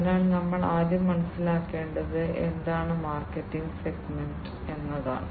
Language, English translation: Malayalam, So, the first one that we should understand is what is the market segment